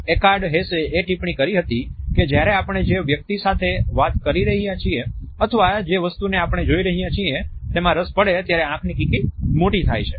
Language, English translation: Gujarati, Eckhard Hess commented that pupil dilates when we are interested in the person we are talking to or the object we are looking at